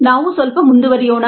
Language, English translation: Kannada, we will continue a little bit more